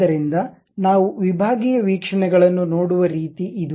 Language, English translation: Kannada, So, that is the way we see the sectional views